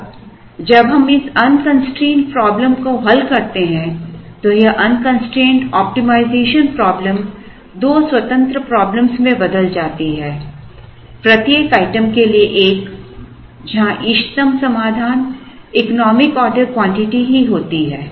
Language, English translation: Hindi, Now, when we solve this unconstraint problem, this unconstraint optimization problem turns out to be two independent problems, one for each item where the optimum solution is the economic order quantity itself